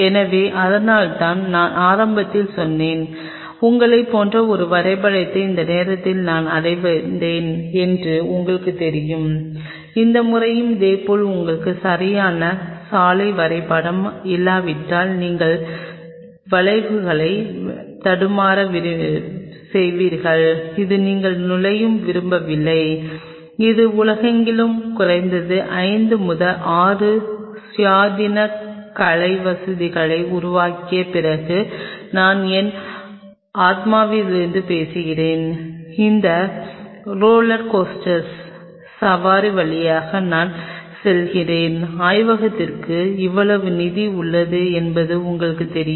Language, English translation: Tamil, So, that is why I told you in the beginning that lets have a roadmap like you know I will achieve this by this time, this time likewise unless we have a proper road map you will a stumbled upon consequences, which you do not want to get into and this is I am talking from my soul after at least developing 5 to 6 independent state of the art facility across the world, that I have gone through that roller coaster ride that you know lab has this much fund